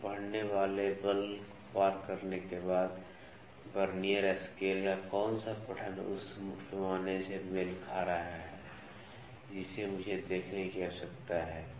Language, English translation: Hindi, After exceeding the force reading it, what reading of the Vernier scale is coinciding with the main scale I need to see